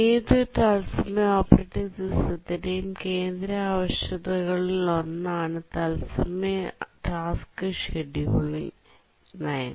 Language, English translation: Malayalam, Real time task scheduling policy, this is one of the central requirements of any real time operating systems